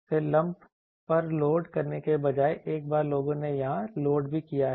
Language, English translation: Hindi, Then there are instead of loading at the lumped once people have also loaded here